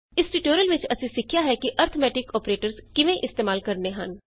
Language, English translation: Punjabi, In this tutorial we learnt how to use the arithmetic operators